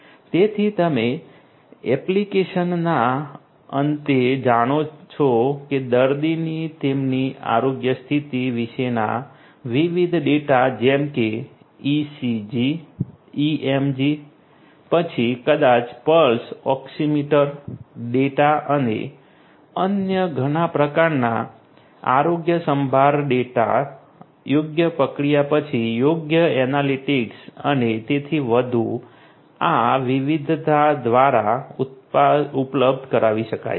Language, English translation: Gujarati, So, you know at the application end, you know data about different patient data about their health condition such as ECG, EMG, then may be pulse oximeter data and many other different types of healthcare data could be made available after suitable processing suitable analytics and so on through these different applications, different portals were portals and so on